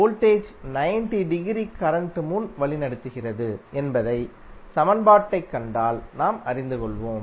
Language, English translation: Tamil, If you see this particular equation you will come to know that voltage is leading current by 90 degree